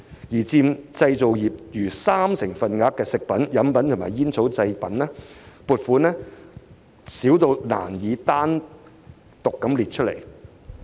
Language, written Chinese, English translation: Cantonese, 反觀佔製造業逾三成份額的"食品、飲品及煙草製造"，所得撥款卻低至未有單項列出。, In contrast food beverage and tobacco manufacturing which accounted for more than 30 % of the manufacturing sector the funds received were too low to be listed separately